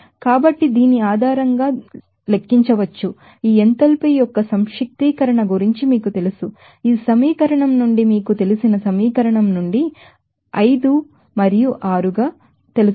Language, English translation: Telugu, So, this can be finally, calculated based on this you know his law of the summation of this enthalpy here from this equation from the enthalpy of you know equation of you know 5 and 6 there